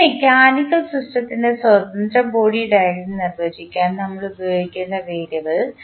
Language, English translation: Malayalam, The variable which we will use to define free body diagram of this mechanical system